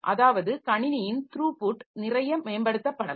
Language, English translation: Tamil, That is the throughput of the system can be improved a lot